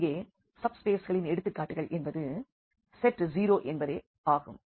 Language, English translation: Tamil, So, here is a examples now of the subspaces here the set 0 itself